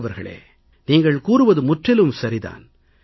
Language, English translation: Tamil, Sunder Ji, what you say is absolutely correct